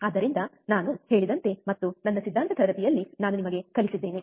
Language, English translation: Kannada, So, like I said and I have taught you in my theory class